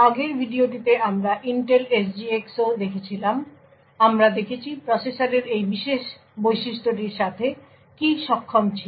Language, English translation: Bengali, In the previous video we had also looked at the Intel SGX we have seen what was capable with this particular feature in the processor